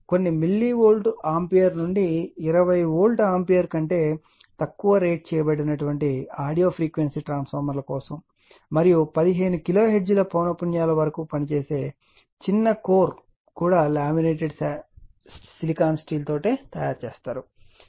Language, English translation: Telugu, For audio frequency transformers rated from a few milli Volt ampere to not more than your 20 Volt ampere, and operating at frequencies up to your about 15 kiloHertz the small core is also made of laminated silicon steel application audio amplifier system